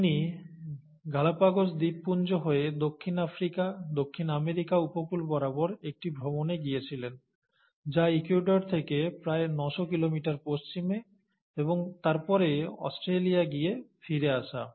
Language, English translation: Bengali, He went on a voyage along the coast of South Africa, South America through the Galapagos Islands, which are about nine hundred kilometers west of Ecuador, and then all the way to Australia and back